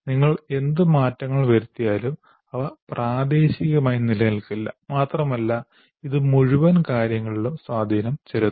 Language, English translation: Malayalam, Whatever modifications you do, they will not remain local and it will have impact on the entire thing